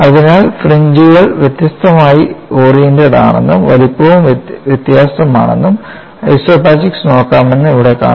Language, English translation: Malayalam, So, here we find the fringes are differently oriented, the size is also different and we could also look at the isopachics